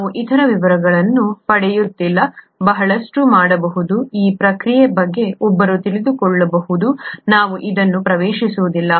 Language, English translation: Kannada, We are not getting into details of this, is a lot that can, that one can know about this process, we are not getting into this